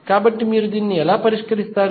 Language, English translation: Telugu, So, how you will solve